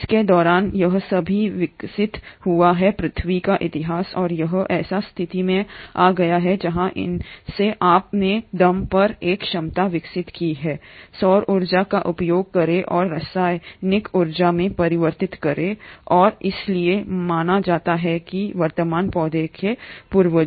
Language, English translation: Hindi, It has still evolved during the course of EarthÕs history and it has come to a situation where it has developed a capacity to on its own utilise solar energy and convert that into chemical energy, and hence are believed to be the ancestors of present day plants